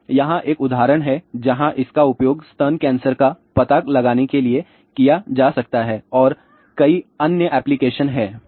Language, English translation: Hindi, So, here is a one of the example where it can be use for breast cancer detection and there are many other applications are there